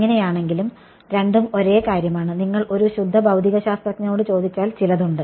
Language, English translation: Malayalam, So, one and the same thing although; if you ask a pure physicist then there are some